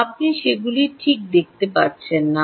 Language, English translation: Bengali, you don't see them, right